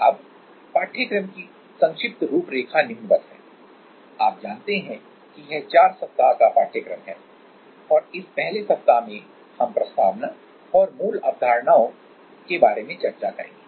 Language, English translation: Hindi, Now, the brief outline of the course; so, the first week you know it is a 4 week course and the first week we will discuss about like introduction and basic concepts